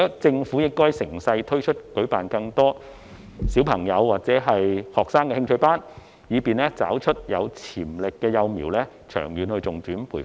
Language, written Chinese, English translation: Cantonese, 政府應該乘勢加以推動，舉辦更多小朋友或學生的興趣班，以便找出有潛力的幼苗作長遠的重點培訓。, The Government should seize the opportunity for promotion by organizing more interest classes for children or students so as to facilitate the identifying of potential young players for long - term focused training